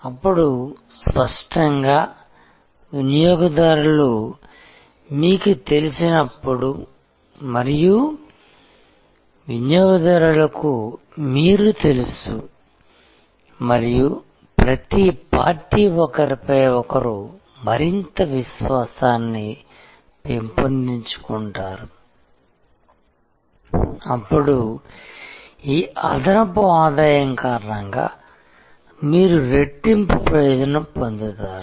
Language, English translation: Telugu, Then; obviously, as the customer becomes known to you and the customer knows you and each party develops more confidence in each other, then due to this additional revenues coming in, you are doubly benefited